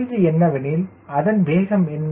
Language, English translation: Tamil, the question is, what is that speed